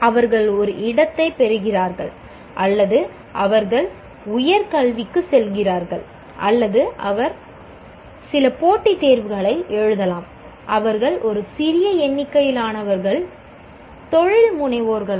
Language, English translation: Tamil, They seek a placement, or they go for higher education, or they can write some of the competitive exams, and they may become, a small number of them may become entrepreneurs